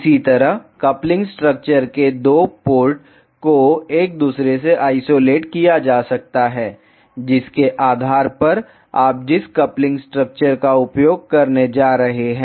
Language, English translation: Hindi, Similarly, the 2 ports of coupling structures can be isolated to each other depending on which coupling structure you are going to use